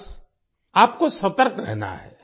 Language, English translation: Hindi, You just have to be alert